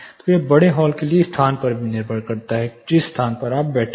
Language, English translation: Hindi, So, it is also function of the location for larger halls, for the location in which you are seated